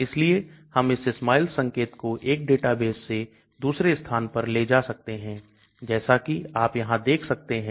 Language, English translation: Hindi, So we can move this SMILES notation from 1 data base to another as you can see here